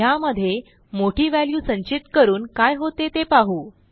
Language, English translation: Marathi, Let us try to store a large value and see what happens